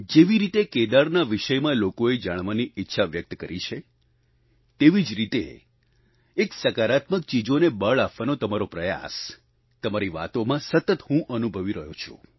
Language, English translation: Gujarati, The way people have expressed their wish to know about Kedar, I feel a similar effort on your part to lay emphasis on positive things, which I get to know through your expressions